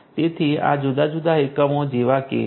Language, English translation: Gujarati, So, these are like different units right